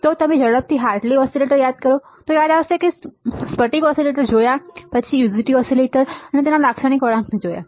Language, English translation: Gujarati, If you recall quickly Hartley oscillator this we have seen right, crystal oscillators we have seen, then we have seen UJT oscillators, and its characteristic curve right